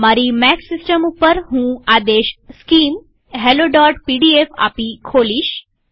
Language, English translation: Gujarati, In my Mac system, I do this by issuing the command skim hello.pdf